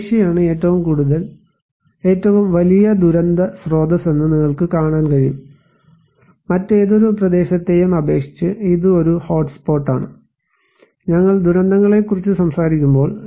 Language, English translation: Malayalam, You can see that Asia is one of the biggest source of disaster, it is one of the hotspot compared to any other region, when we are talking about disasters